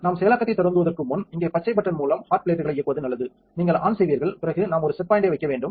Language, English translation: Tamil, Before we start the processing its a good idea to turn on the hot plates on the green button here, you will turn on then we have to put a set point